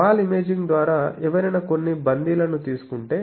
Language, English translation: Telugu, Then through wall imaging, whether someone has taken some hostages